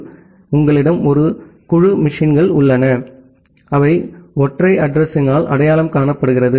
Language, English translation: Tamil, So, you have a group of machines, which are being identified by a single address